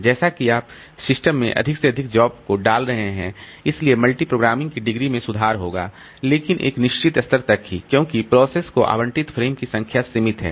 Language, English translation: Hindi, As you are pushing in more and more jobs into the system, so degree of multi programming will improve, but after a certain level, since the number of frames allocated to processes is limited, so it will come to a stage where the thrashing will start